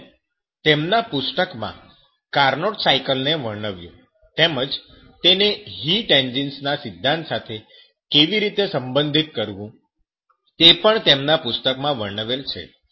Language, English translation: Gujarati, And he described to the Carnot cycle in his book, how to relate to the theory of heat engines are also described in his books